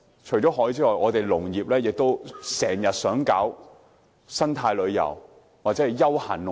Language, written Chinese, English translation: Cantonese, 除了海之外，我們也很想推廣生態旅遊或休閒農業。, Apart from taking advantage of the sea we also like to promote eco - tourism or leisure agricultural industry